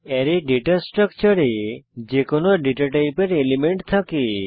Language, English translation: Bengali, Array is a simple data structure which contains elements of any data type